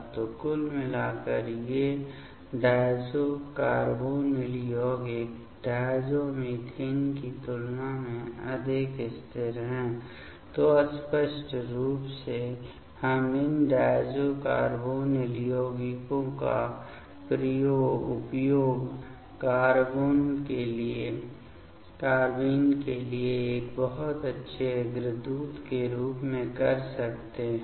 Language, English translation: Hindi, So, overall these diazo carbonyl compounds are more stable than the diazomethane; so obviously, we can use these diazo carbonyl compounds as a very good precursor for the carbenes